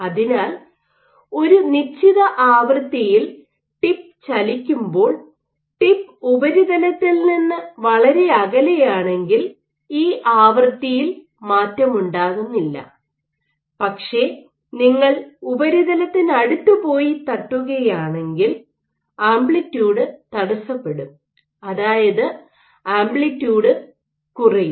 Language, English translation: Malayalam, So, if it is vibrating at a given frequency this frequency remains unchanged if the tip is far from the surface, but if you are going close to the surface and you are doing this tap, the amplitude will get perturbed your amplitude will drop